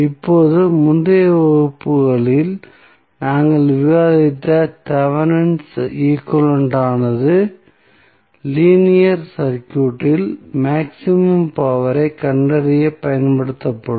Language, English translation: Tamil, Now, the Thevenin equivalent which we discussed in the previous classes, it is basically will be used for finding out the maximum power in linear circuit